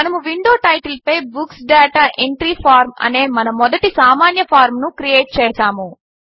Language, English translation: Telugu, We have now created our first simple form that says Books Data Entry Form on the window title